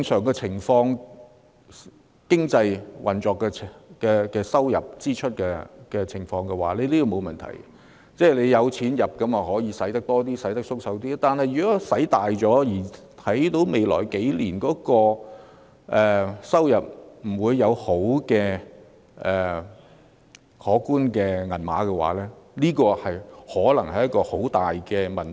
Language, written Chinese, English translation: Cantonese, 當然，在經濟運作和收支正常的情況下，有關安排並無問題，有較多收入便可以花較多錢，可以較闊綽地花錢，但如果過度花費，而預期未來數年不會有可觀的收入時，這可能會造成很嚴重的問題。, Certainly such arrangements are fine when both the operation of the economy and the balance sheet are normal . We can spend more and spend more generously when we earn more . Yet if we overspend and it is expected that the amount of revenue will not be substantial in the coming few years this may lead to very serious problems